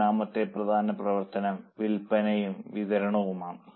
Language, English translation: Malayalam, The third important function is selling and distribution